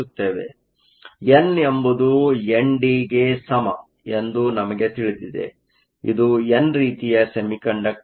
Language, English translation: Kannada, So, we know n is equal to N D it is an n type semiconductor